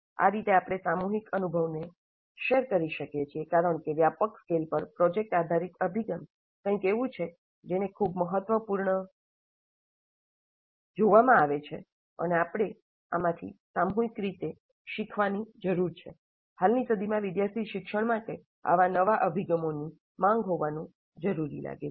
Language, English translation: Gujarati, And that way we can share this collective experience because this is something that is seen as very important and we need to collectively learn from this, the project based approach on a wider scale